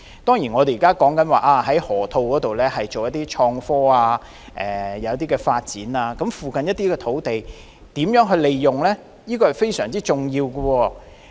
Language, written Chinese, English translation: Cantonese, 當然，政府已表示會在河套區發展創科產業，但如何利用附近土地是非常重要的。, Certainly the Government has already made it clear that it will develop innovation and technology IT industry in the Loop but it matters a great deal as to how the land in the vicinity is used